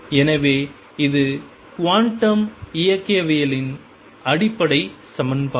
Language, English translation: Tamil, So, this is the fundamental equation of quantum mechanics